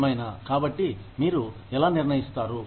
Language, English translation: Telugu, Anyway, so, how do you decide